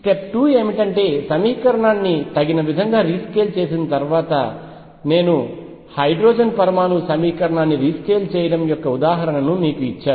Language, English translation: Telugu, Step 2 after rescaling the equation appropriately, I gave you the example of rescaling the hydrogen atom equation